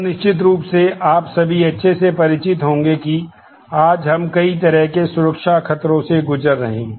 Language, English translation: Hindi, Then certainly there are you all would be very familiar that today we are living under a whole lot of security threats